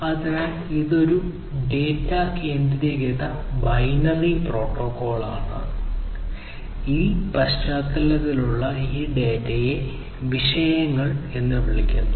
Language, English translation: Malayalam, So, it is a data centric binary protocol and this data in this context are termed as “topics”